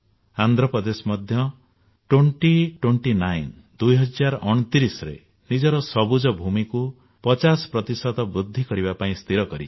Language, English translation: Odia, Andhra Pradesh, too has decided to increase its green cover by 50% by the year 2029